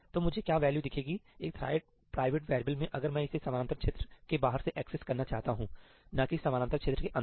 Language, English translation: Hindi, What value should I see in a thread private variable if I access it outside the parallel region, not inside the parallel region